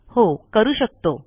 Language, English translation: Marathi, Yes, we can